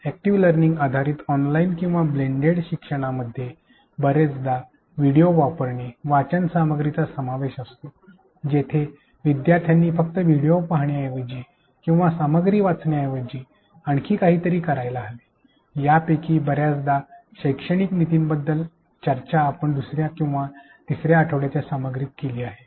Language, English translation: Marathi, Active learning based online or blended learning often involves the use of videos, reading material, where learners should be made to do something rather than mere watching of videos or reading of content; many of these pedagogical strategies have being discussed explained in the week 2 and week 3 content